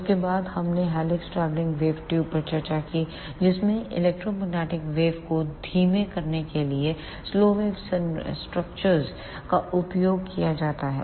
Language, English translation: Hindi, And these three are low power microwave tubes after that we discussed helix travelling wave tubes in which slow wave structures are used to slow down the electromagnetic waves